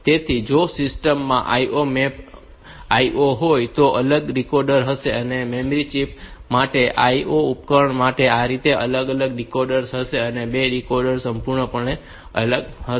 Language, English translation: Gujarati, So, if a system has got IO mapped IO then there will be 2 separate decoders one for the one for the memory chips and one for the IO devices